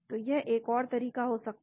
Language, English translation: Hindi, So, that could be another approach